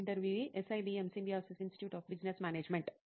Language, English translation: Telugu, SIBM, Symbiosis Institute of Business Management